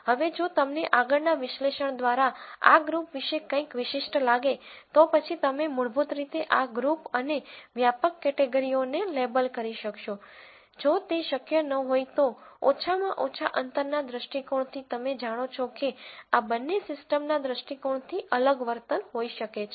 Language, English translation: Gujarati, Now if you find something specific about this group by further analysis, then you could basically sometimes maybe even be able to label these groups and the broad categories if that is not possible at least you know from a distance viewpoint that these two might be a different behavior from the system viewpoint